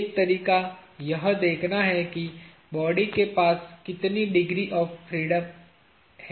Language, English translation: Hindi, One way to go about is to see how many degrees of freedom the body will have